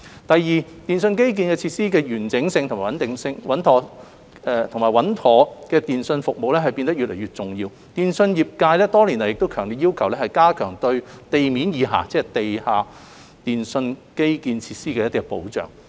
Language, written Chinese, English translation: Cantonese, 第二，電訊基建設施的完整性及穩妥的電訊服務變得越來越重要，電訊業界多年來亦強烈要求加強對地面以下，即地下電訊基建設施的保障。, Second the integrity of telecommunications infrastructure and reliable telecommunications services have become increasingly important and the telecommunications industry has for many years strongly requested that the protection of below - ground namely underground telecommunications infrastructure be strengthened